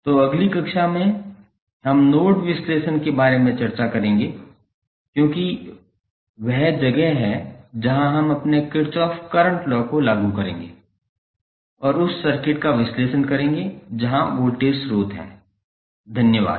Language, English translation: Hindi, So, in the next class we will discuss about the node analysis because that is where we will apply our Kirchhoff Current Law and analyze the circuit where voltage sources are there, thank you